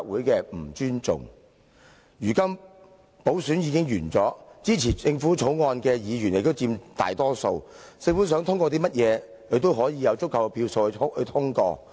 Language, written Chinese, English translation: Cantonese, 如今補選已經完結，支持政府《條例草案》的議員亦佔大多數，政府想通過甚麼，也有足夠票數通過。, Now that the by - election is over and Members supporting the Bill introduced by the Government form the majority of the Legislative Council the Government can pass whatever bill it likes since it will secure an adequate number of votes